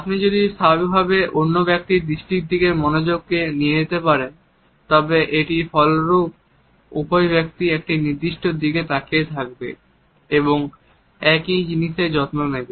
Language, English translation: Bengali, If you are able to automatically shift attention in the direction of another person’s gaze, it also results in both people looking at the same thing and attending to the same thing